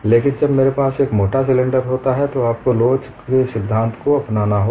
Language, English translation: Hindi, But when I have a thick cylinder, you have to go by theory of elasticity